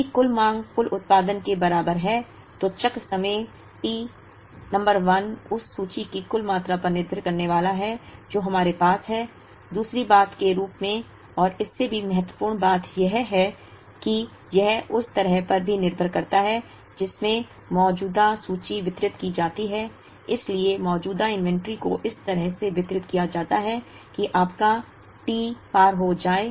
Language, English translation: Hindi, If total demand is equal to total production, then the cycle time T number 1 is going to depend on the total amount of inventory that we have, as secondly, and more importantly, it also depends on the way in which the existing inventory is distributed, so the existing inventory can be distributed in such a manner that your T exceeds